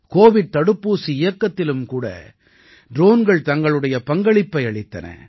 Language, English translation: Tamil, Drones are also playing their role in the Covid vaccine campaign